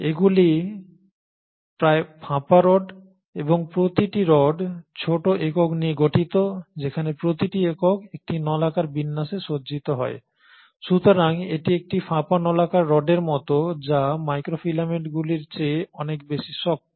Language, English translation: Bengali, These are almost hollow rods and each rod in turn is made up of smaller units where each unit arranges in a cylindrical fashion, so it is like a hollow cylindrical rod which is much more stiffer than the microfilaments